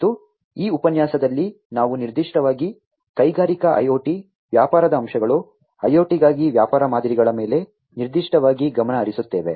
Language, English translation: Kannada, And in this lecture, we will focus specifically on Industrial IoT, the business aspects, the business models for IIoT, specifically